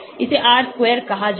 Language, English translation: Hindi, This is called R square